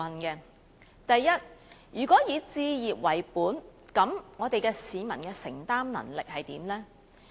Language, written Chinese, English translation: Cantonese, 首先，如果以置業為本，市民的承擔能力為何？, First of all if the focus is placed on home ownership what is the peoples affordability?